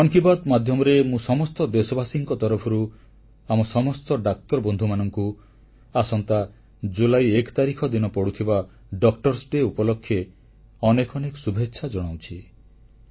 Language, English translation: Odia, Through Mann Ki Baat I extend my warmest felicitations on behalf of the countrymen to all our doctors, ahead of Doctor's Day on the 1st of July